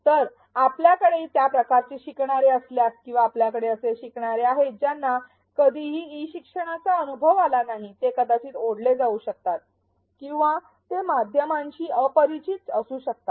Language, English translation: Marathi, So, if you have learners of that kind or if you have learners who have never experienced e learning, they may be daunted or they may be unfamiliar with the medium